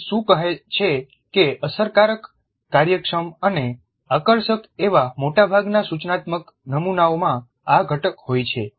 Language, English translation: Gujarati, What Merrill says is that most of the instructional models that are effective, efficient and engaging have this component